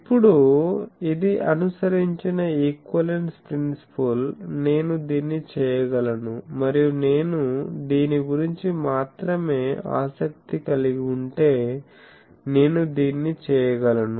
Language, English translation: Telugu, Now, this is the equivalence principles followed; that I can do this and then if I am interested only about this I can go on doing this